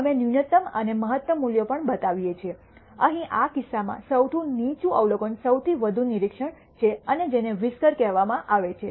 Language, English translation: Gujarati, We also show the minimum and maximum values; here in this case the lowest observation the highest observation and those are called the whiskers